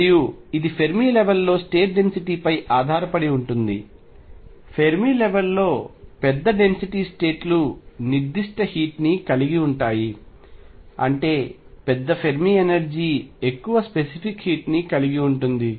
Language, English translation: Telugu, And it depends crucially on density of states at the Fermi level, larger the density states of the Fermi level more the specific heat; that means, larger the Fermi energy more the specific heat